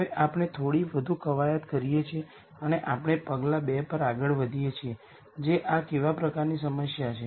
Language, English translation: Gujarati, Now we drill down a little more and we go on to step 2 which is what type of problem is this